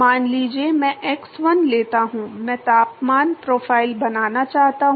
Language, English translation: Hindi, Suppose I take x 1, I want to draw the temperature profile